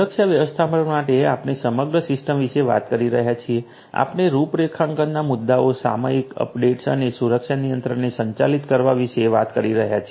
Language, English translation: Gujarati, For security management we are talking about the system as a whole, we are talking about dealing with issues of configurations, periodic updates and managing the security controls